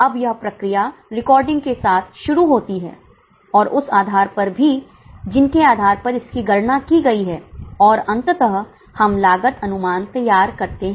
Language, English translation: Hindi, Now this process begins with the recording and also the basis on which they are calculated and ultimately we prepare the cost statements